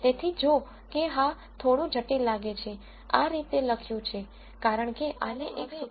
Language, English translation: Gujarati, So, while this looks little complicated, this is written in this way because it is easier to write this as one expression